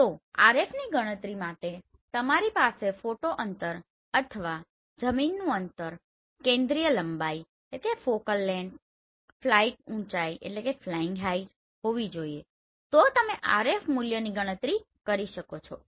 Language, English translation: Gujarati, So for calculation of RF either you should have the photo distance or the ground distance, focal length flying height then you can calculate the RF value right